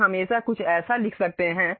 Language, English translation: Hindi, We can always write something like